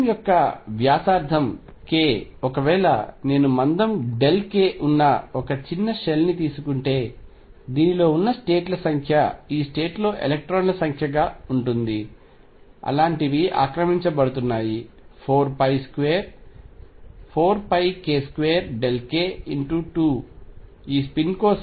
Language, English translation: Telugu, And this sphere of radius k if I take a small shell of thickness delta k, the number of states in this is going to be number of electrons in these state such are going to be such are occupied is going to be 4 pi k square delta k times 2 for this spin times v over 8 pi cubed